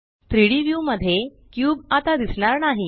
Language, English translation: Marathi, The cube is no longer visible in the 3D view